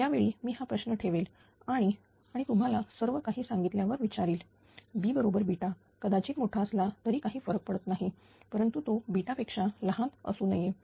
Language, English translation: Marathi, At that time, I will put this question and ask you after explaining everything B should B is equal to beta even greater than beta no problem, but it cannot be less than beta, right